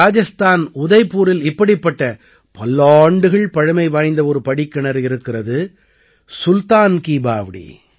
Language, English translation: Tamil, In Udaipur, Rajasthan, there is one such stepwell which is hundreds of years old 'Sultan Ki Baoli'